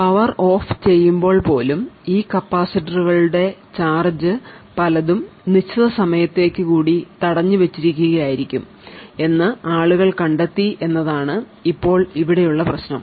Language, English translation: Malayalam, Now the problem here is that people have found that even when the power is turned off the state of this capacitors or many of these capacitors is still detained for certain amount of time